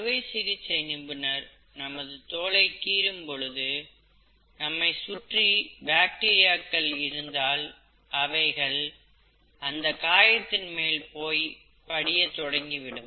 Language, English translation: Tamil, Whereas when the surgeon is operating, and when the surgeon is making an incision in the skin, if there are bacteria around, it will start settling in this wound and that will cause infection